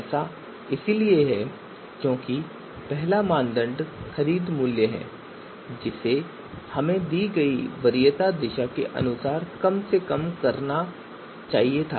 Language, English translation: Hindi, So this is because the first criterion was price purchase price which we were supposed to minimized as per the given you know you know preference direction